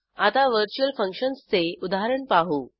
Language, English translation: Marathi, Now let us see an example on virtual functions